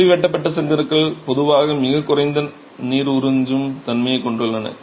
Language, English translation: Tamil, The wire cut bricks typically have this tendency of very low water absorption